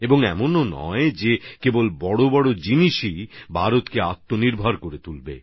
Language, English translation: Bengali, And it is not that only bigger things will make India selfreliant